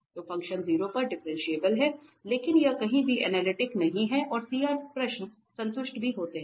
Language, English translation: Hindi, So, the function is differentiable at 0, but it is nowhere and analytic and CR questions were satisfied